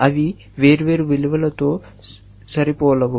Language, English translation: Telugu, They cannot match different values